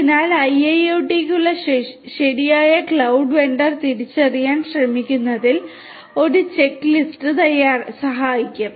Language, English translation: Malayalam, So, a checklist will help in basically trying to identify the right cloud vendor for IIoT